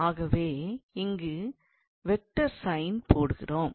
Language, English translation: Tamil, So, we put a vector sign here